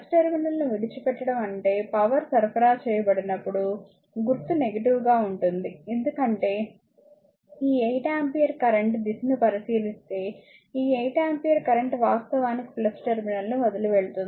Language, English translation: Telugu, Leaving the plus terminal means it is where your what you call sign will be negative when power supplied actually right, because this 8 ampere if you look at the direction of the current this 8 ampere current actually leaving the plus terminal